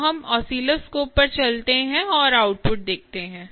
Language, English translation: Hindi, so let's move on to the oscilloscope and see the output